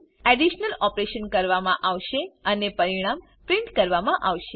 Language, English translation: Gujarati, The addition operation will be performed and the result will be printed